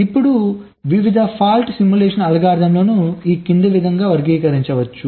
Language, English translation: Telugu, now the various fault simulations algorithms can be classified as follow